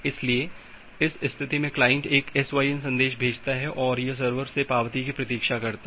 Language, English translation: Hindi, So, at this state, the client has sent a SYN message and it is waiting for the acknowledgement from the server